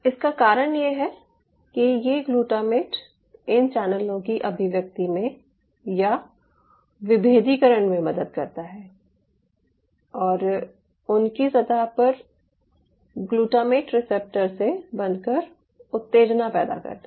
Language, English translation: Hindi, the reason is this: glutamate helps in the expression of or in the differentiation of some of these channels and further bring and x brings an excitability by binding to the glutamate receptor on their surface